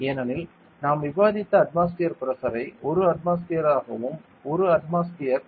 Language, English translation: Tamil, Because see the atmospheric pressure that we discussed as 1 atmosphere; 1 atmosphere